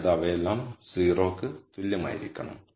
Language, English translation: Malayalam, That means, all of them have to be equal to 0